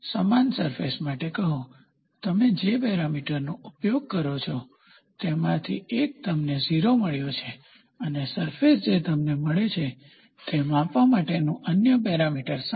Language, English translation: Gujarati, Say for the same surface, one of the parameters whatever you use you got 0 and the other parameter for measuring the surface you get is 7